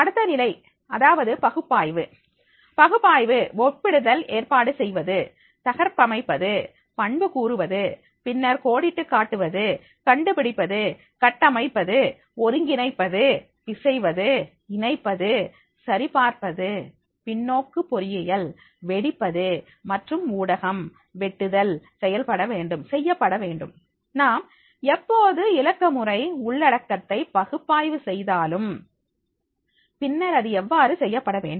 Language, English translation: Tamil, Next level is that is the analysing, in analysing and comparing, organizing, deconstructing, attributing then the outlining, finding, structuring, integrating, mashing, linking, validating, reverse engineering, cracking and media clipping is to be done, whenever we want to make the analyses of the digital content, then how it is to be done